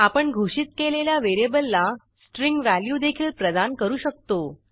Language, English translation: Marathi, We can also assign a string value to the variable we declared